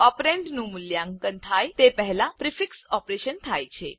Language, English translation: Gujarati, The prefix operation occurs before the operand is evaluated